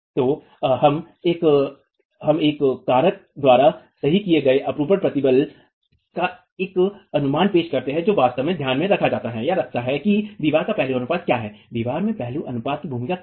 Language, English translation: Hindi, So, we introduce an estimate of the shear stress corrected by a factor that actually takes into account what the aspect ratio of the wall is, what is the role of the aspect ratio of the wall is